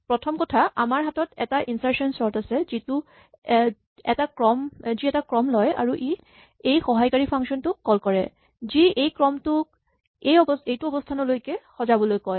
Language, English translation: Assamese, First of all we have an overall insertion sort which takes a sequence and it will call this auxilliary function which says: sort this sequence up to this position